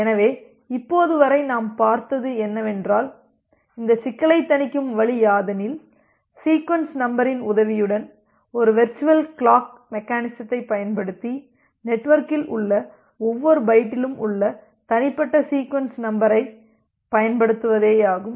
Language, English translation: Tamil, So, what we have looked till now that will the way we can mitigate this problem is by utilizing a virtual clocking mechanism with the help of sequence number, where we are utilizing the concept of byte sequence number that every byte in the network will have a unique sequence number